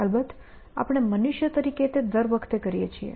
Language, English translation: Gujarati, Of course, we as human beings do it all the time